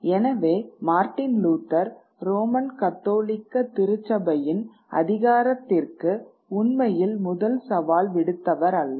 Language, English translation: Tamil, So, it is not that Martin Luther really was the first challenger to the authority of the Roman Catholic Church